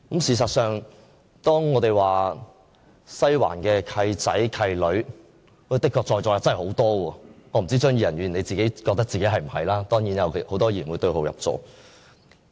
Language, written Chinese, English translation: Cantonese, 事實上，當我們說"西環契仔契女"，在座的確有很多，我不知道張宇人議員是否覺得自己是其中之一，當然有很多議員會對號入座。, In fact when we talk of godsons and god - daughters of the Western District there are indeed many of them in this Chamber . I do not know if Mr Tommy CHEUNG considers himself one of those mentioned and of course many Members will pigeonhole themselves into the description